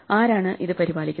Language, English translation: Malayalam, Who takes care of it